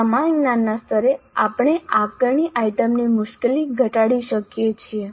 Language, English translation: Gujarati, At the same cognitive level we can tone down the difficulty of the assessment item